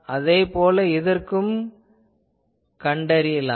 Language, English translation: Tamil, So, we can similarly find this